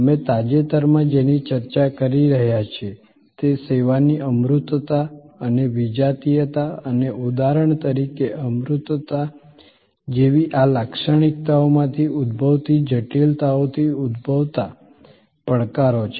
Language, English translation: Gujarati, What we have been discussing lately are the challenges arising from the intangibility and heterogeneity of service and the complexities that arise from these characteristics like for example, abstractness